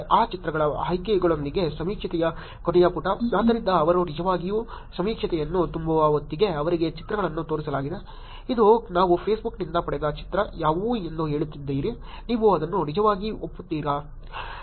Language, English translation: Kannada, Last page of the survey with options of that pictures, so by the time they actually fill the survey they were actually shown the pictures, saying what this is the picture that we got from Facebook, do you actually agree to it